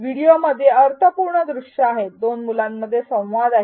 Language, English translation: Marathi, There are meaningful visuals in the video, there is a dialogue between two children